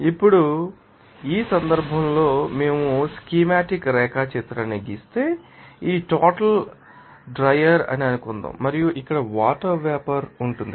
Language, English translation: Telugu, Now, they are in this case, if we draw the schematic diagram, supposing day this amount is dryer and here water vapor will be there